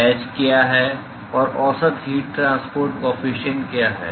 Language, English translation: Hindi, What is h and what is average heat transport coefficient